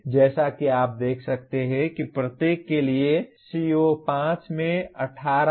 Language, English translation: Hindi, Like that for each one, as you can see CO5 has 18